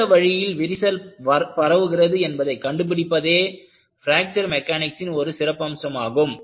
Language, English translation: Tamil, You will find one of the important aspects in Fracture Mechanics is, in which way the crack will propagate